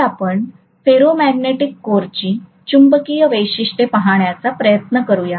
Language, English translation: Marathi, So let us try to look at the magnetization characteristics of a ferromagnetic core, right